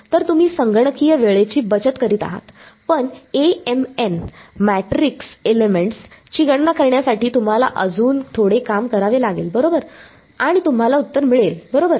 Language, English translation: Marathi, So, you are saving on computational time, but you have to do a little bit more work to calculate Amn the matrix elements right and you get the answer right